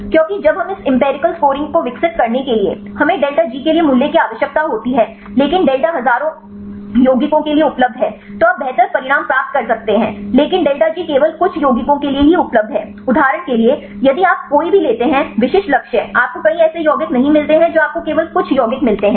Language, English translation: Hindi, Because when we for developing this empirical scoring, we need the value for the delta G, but delta is available for thousands of compounds then you can get better results, but delta G is available only for few compounds right for example, if you take any specific target you do not get many many compounds you get only few compounds